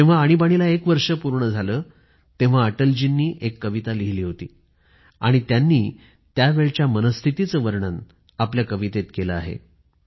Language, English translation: Marathi, After one year of Emergency, Atal ji wrote a poem, in which he describes the state of mind during those turbulent times